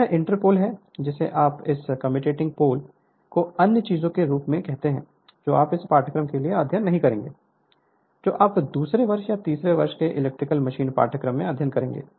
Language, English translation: Hindi, This inter pole you are what you call about this commutating poles other things you will not study for this course you will study in your second year or third year electrical machine course